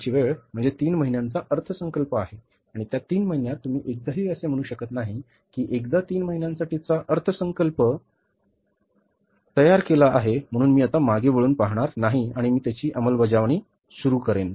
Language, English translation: Marathi, Our time horizon is for the budgeting is three months and in that three months you cannot say that once I have prepared the budget for three months so I will not look back now and I will start performing